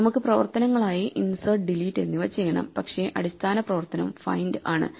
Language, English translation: Malayalam, So, we will also have insert and delete as operations, but the main fundamental operation is find